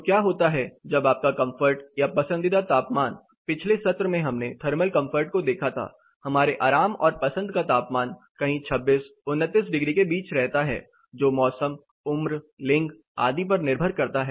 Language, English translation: Hindi, So, what happens when you are comfort are the prefer temperature we were looking at thermal comfort in the previous sessions; our comfort and prefer temperature somewhere lie between near 26, 29 degrees depends on season, age, gender, etc